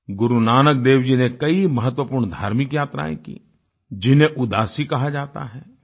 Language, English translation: Hindi, Guru Nanak Ji undertook many significant spiritual journeys called 'Udaasi'